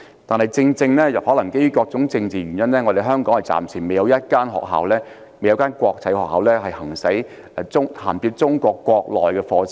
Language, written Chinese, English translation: Cantonese, 但是，基於各種政治原因，香港暫時未有一間國際學校銜接中國國內的課程。, However due to various political reasons there is so far not one international school for articulation to courses in Mainland China